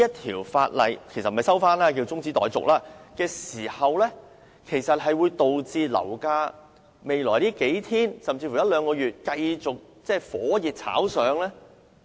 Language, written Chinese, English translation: Cantonese, 《條例草案》中止討論會否導致樓價在未來數天甚至一兩個月，繼續火熱炒上？, Will adjourning the discussion of the Bill lead to a continuous surge in property prices in the next few days or even the next one or two months?